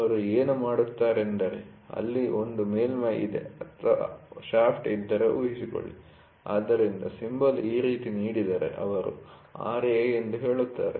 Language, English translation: Kannada, So, what they do is there is a surface or suppose if there is a shaft, so if the symbol is given like this, so they say Ra